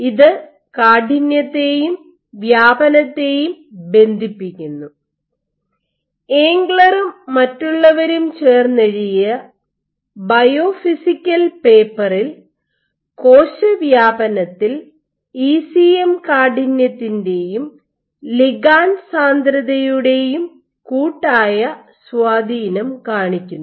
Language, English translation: Malayalam, Which linked stiffness and spreading your Biophysical paper, it showed the collective influence of ECM stiffness and ligand density on spreading